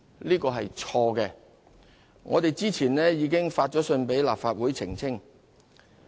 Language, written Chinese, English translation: Cantonese, 這是錯誤的，而政府早前已致函立法會澄清。, This is incorrect and the Government has earlier written to the Legislative Council to make clarifications